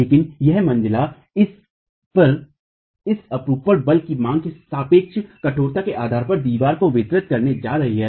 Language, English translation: Hindi, But this shear force demand onto a story is going to be distributed to the walls based on their relative stiffness